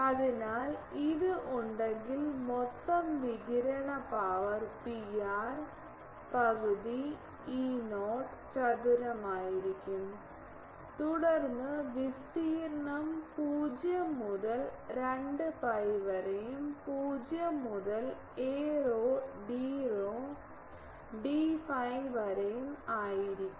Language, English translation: Malayalam, So, if this is there the total radiated power P r will be half Y not E not square then the area 0 to 2 pi, 0 to a rho d rho d phi